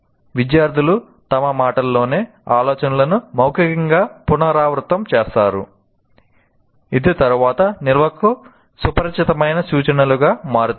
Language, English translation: Telugu, Students orally restate ideas in their own words, which then become familiar cues to later storage